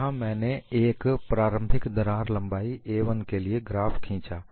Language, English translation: Hindi, Here, I have drawn the graph for initial crack length of a 1